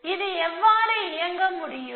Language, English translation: Tamil, How it can operate